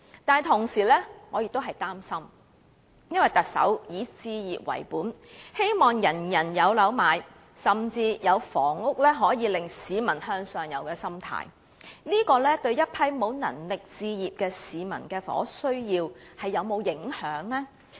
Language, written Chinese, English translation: Cantonese, 但是，同時，我也感到擔心，因為特首以置業為本，希望人人擁有物業，甚至抱持房屋可以令市民向上游的心態，這會否影響沒有能力置業的市民的房屋需要？, These are worth our support . At the same time however I feel worried because the Chief Executive focuses on home ownership hoping that everyone can own a property and she even holds the mindset that housing can facilitate the peoples upward mobility . Will this affect the housing needs of those who cannot afford a home?